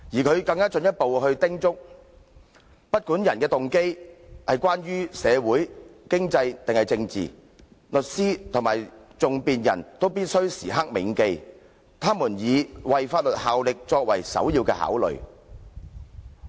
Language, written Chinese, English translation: Cantonese, "他更進一步叮囑："不管訴諸法庭的人動機為何——無論是社會、經濟或政治上的動機——律師，或更具體而言，訟辯人必須時刻銘記他們是以為法律效力為首要考慮。, He further advised whatever the motives of those who come before the courts―whether social economic or political―the lawyer or more specifically the advocate must at all times understand that he or she is serving the law first and foremost